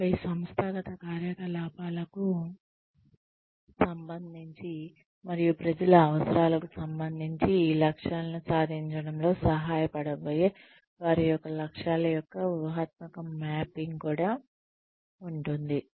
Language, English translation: Telugu, And then, there is a strategic mapping of aims, in relation to the organizational activities, and in relation to the needs of the people, who are going to help achieve these goals